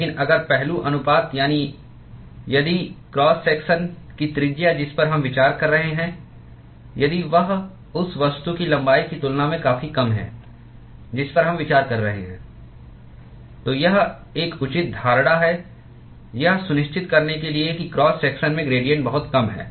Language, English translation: Hindi, But if the aspect ratio that is if the if the radius of the cross section that we are considering if that is substantially small compared to the length of the of the object that we are considering, then it is a reasonable assumption to make that the gradients in the cross section is negligible